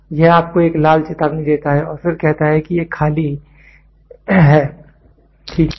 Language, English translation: Hindi, So, it gives you a red alert and then says it is moving towards empty, ok